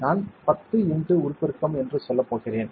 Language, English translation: Tamil, I will go to let us say 10 x magnification